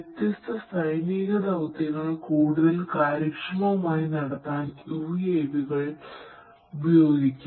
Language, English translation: Malayalam, The UAVs could be used to carry out different missions military missions in a much more efficient manner